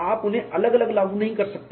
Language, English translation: Hindi, You cannot apply them individually